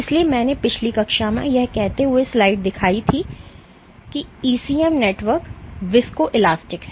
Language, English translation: Hindi, So, I had shown this slide in last class saying that ECM networks are viscoelastic